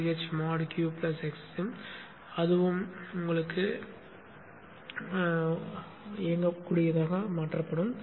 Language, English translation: Tamil, CHMod U plus X QS sim and that also will be made executable